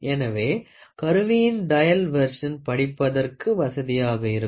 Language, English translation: Tamil, Dial version of the instruments add convenience to reading